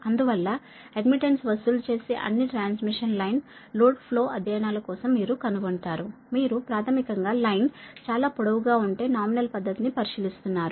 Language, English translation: Telugu, so that's why you will find, for all transmission line load flow studies, charging, admittance, they are considering basically nominal pi method, right, if line is too long, so this is per overhead transmission line